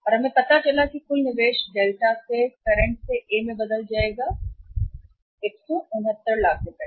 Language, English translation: Hindi, And we found out that the total investment change Delta investment from current to A will be 169 lakhs right